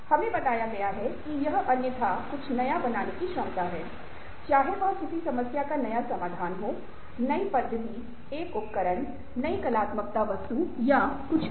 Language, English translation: Hindi, we have told that it is a ability to make, otherwise bring into existence something new, ok, whether a new solution to a problem, a new method, a device, a new artist or form